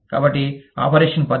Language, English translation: Telugu, So, operation method